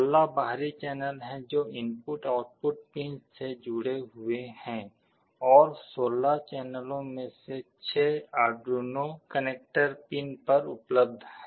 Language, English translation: Hindi, There are 16 external channels that are connected to the input/output pins and out of the 16 channels, 6 of them are available on the Arduino connector pins